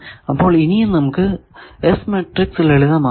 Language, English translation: Malayalam, So, S should be unitary and let us further simplify the S matrix